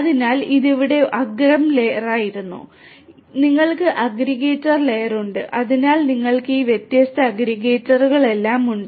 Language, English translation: Malayalam, So, this was the edge layer, this was the edge layer here you have the aggregator, layer, aggregator, aggregator layer and so, like this you have all of these different aggregators